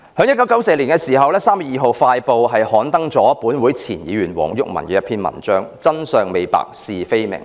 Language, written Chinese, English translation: Cantonese, 1994年3月2日，《快報》刊登了前立法會議員黃毓民一篇題為"真相未白，是非未明"的文章。, On 2 March 1994 Express News published an article entitled Truth unknown and facts uncertain written by Mr WONG Yuk - man former Member of the Legislative Council